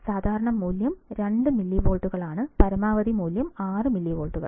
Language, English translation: Malayalam, Typically, value of voltage to be applied is 2 millivolts and maximum is 6 millivolts